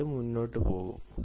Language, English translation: Malayalam, then we will move on